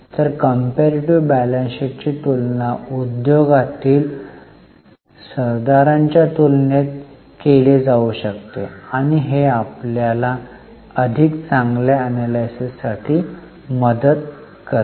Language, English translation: Marathi, So, comparative balance sheet can be compared across industry peer and it helps us for better analysis